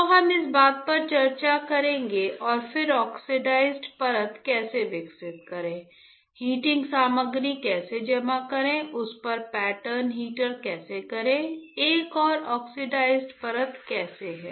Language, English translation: Hindi, So, we will discuss this thing and then the how to grow oxide layer, how to grow how to deposit heating material, how to pattern heater on that how to have another oxide layer right